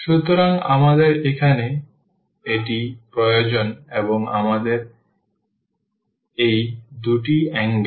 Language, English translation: Bengali, So, we need this here and we need that, so these two angles